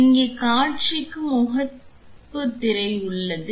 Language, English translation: Tamil, Here the display has a home screen